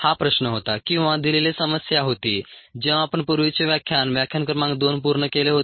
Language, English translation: Marathi, this was the question that was, or the problem that was, assigned ah, when we pretty much finished up the previous lecture, lecture number two